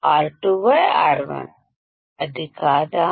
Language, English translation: Telugu, R2 by R1; isn’t it